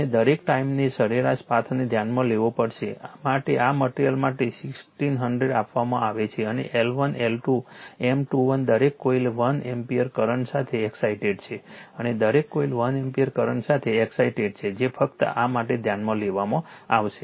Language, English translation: Gujarati, And you have to you have to consider the your mean path all the time in mu r for this one is given for this material is 1600 right it is given and you have to find out L 1, L 2, M 1 2 M 2 1 each coil is excited with 1 ampere current and each coil is excited with 1 ampere current will only considered for this one